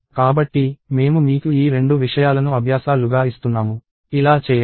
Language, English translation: Telugu, So, I give you these 2 things as exercises; go and do this